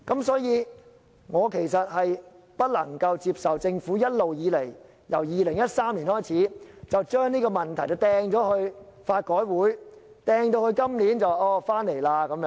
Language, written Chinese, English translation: Cantonese, 所以，我其實不能接受政府自2013年一直將這個問題推予香港法律改革委員會，推至今年才重提這個問題。, Hence I find it unacceptable that the Government has shirked this responsibility to the Law Reform Commission of Hong Kong since 2013 and did not bring up this topic again until this year